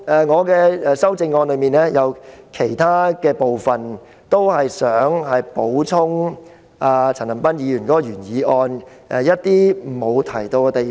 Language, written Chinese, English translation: Cantonese, 我的修正案提出的其他建議，旨在補充陳恒鑌議員的原議案沒有提及的地方。, The other recommendations in my amendment seek to bring in those areas which are not mentioned in the original motion of Mr CHAN Han - pan